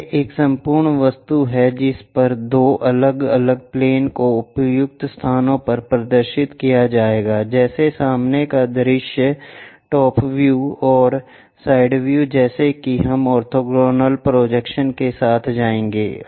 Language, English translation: Hindi, This is the way an entire object will be projected on two different planes show at suitable locations, something like front view, top view and side view that kind of things we will go with orthogonal projections